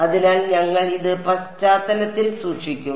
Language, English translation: Malayalam, So, we will just keep this in the background ok